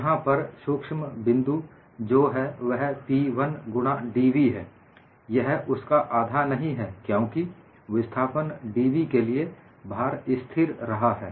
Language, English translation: Hindi, The subtle point here is it is P 1 into dv; it is not half of that because the load has remained constant for the displacement dv